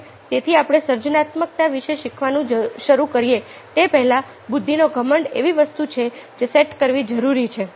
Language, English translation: Gujarati, so, before we start learning about creativity, the arrogance of intelligence is something which has to be said